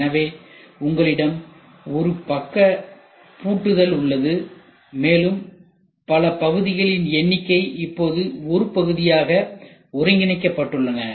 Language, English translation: Tamil, So, you have one side locking and you see number of parts a number of parts, which were here are now integrated into a single part